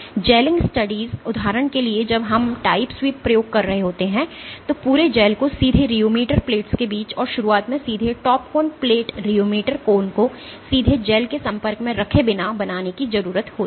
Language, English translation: Hindi, For gelling studies for example, when you are doing time sweep experiments the entire gel needs to be initially formed directly between the rheometer plates, between the rheometer plates and initially without putting the top cone plate rheomet cone directly in contact with the gel